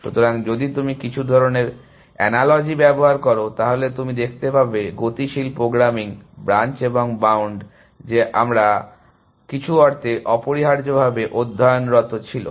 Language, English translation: Bengali, So, if you do some kind of an analogy, if you would see the dynamic programming is like branch and bound that we would, that we were studying essentially in some sense essentially